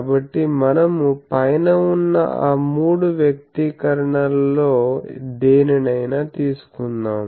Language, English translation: Telugu, So, you will get either of those 3 expressions